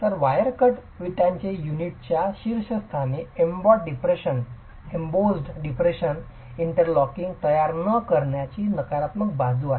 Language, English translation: Marathi, So, wire cut bricks have the downside of not having the interlocking created by the embossed depression at the top of the unit itself